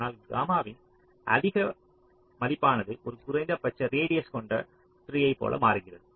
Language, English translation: Tamil, but higher value of gamma, it becomes more like a minimum radius tree